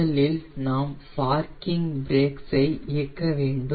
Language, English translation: Tamil, i will put the parking brake